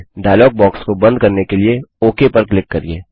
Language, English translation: Hindi, Click on OK to close the dialog box